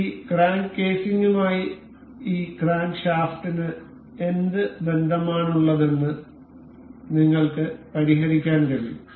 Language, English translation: Malayalam, You can just guess what relation does this crankshaft needs to have with this crank casing